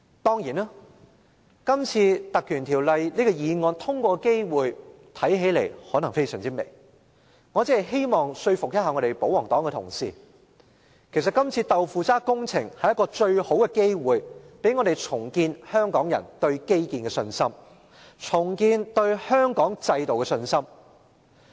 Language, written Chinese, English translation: Cantonese, 當然，這次根據《條例》動議的議案通過的機會看來甚微，我只是希望說服保皇黨同事，其實這次"豆腐渣"工程是最好的機會，讓我們重建香港人對基建和香港制度的信心。, Certainly the chance of passing this motion moved under the Ordinance is slim . I merely hope to convince royalist Members that the shoddy project in question provides the best opportunity for us to rebuild Hong Kong peoples confidence in infrastructure and the institutions of Hong Kong